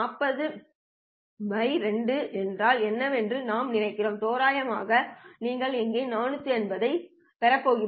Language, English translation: Tamil, 5 degrees on this side, I think that's what 45 by 2 is and roughly you're going to get 45 degrees up here